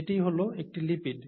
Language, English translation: Bengali, That is what a lipid is